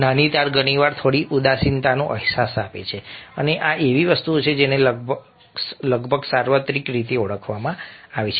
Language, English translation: Gujarati, minor chords very often convey a sense of a little bit of sadness and this is something which has almost been identified universally